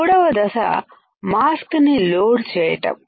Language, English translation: Telugu, Step three load mask